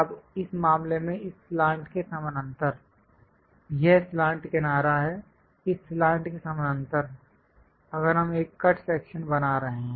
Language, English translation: Hindi, Now in this case parallel to one of this slant, this is the slant edge; parallel to this slant, if we are making a cut section